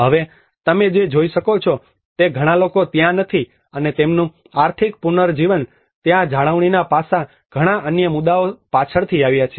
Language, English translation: Gujarati, Now what you can see is not many people out there and their economic regeneration, the maintenance aspects there are many other issues came later on